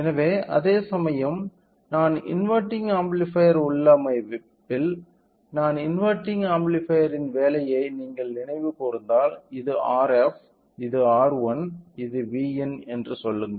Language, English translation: Tamil, So, whereas, in case of a non inverting amplifier configuration if you recall the working of non inverting amplifier so, R f, R 1, say this is V in